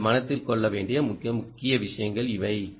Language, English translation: Tamil, ok, these are the key things that you have to keep in mind